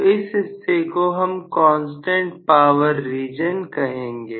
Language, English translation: Hindi, So, we call this region as constant power region